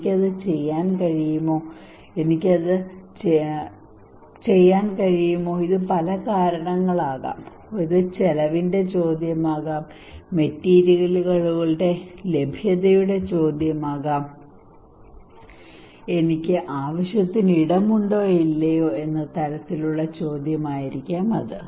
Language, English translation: Malayalam, Can I do it, it could be many reasons can I do it could be many reasons this could be question of cost, it could be question of that availability of the materials, it could be kind of question of like I have enough space or not right